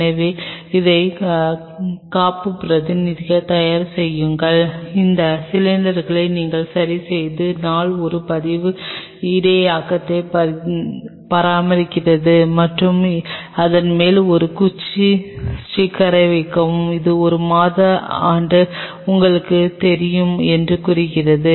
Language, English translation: Tamil, So, have these backups ready, the day you fix these cylinders maintain a log buffer and on top of that put a stick sticker, telling that fixed on say you know day month year